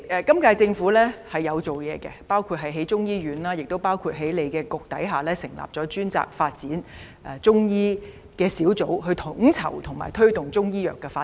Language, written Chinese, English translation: Cantonese, 今屆政府有就此下工夫，包括興建中醫院，以及在食物及衞生局轄下成立專責發展中醫的小組，負責統籌及推動中醫藥的發展。, The current - term Government has made efforts in this respect including the setting up of a Chinese medicine hospital and the establishment of a dedicated team under the Food and Health Bureau to coordinate and promote the development of Chinese medicine